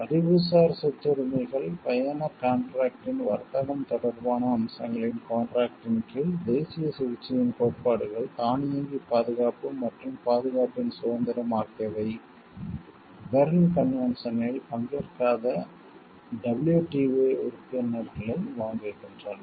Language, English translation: Tamil, Under the agreement on trade related aspects of intellectual property rights trips agreement, the principles of national treatment automatic protection and independence of protection also buying those WTO members not party to the Berne convention